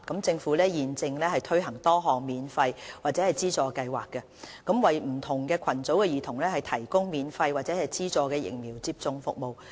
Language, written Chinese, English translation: Cantonese, 政府現正推行多項免費或資助計劃，為不同群組的兒童提供免費或資助的疫苗接種服務。, The Government is currently conducting several free vaccination programmes or subsidy schemes to provide free or subsidized vaccination services for children of different target groups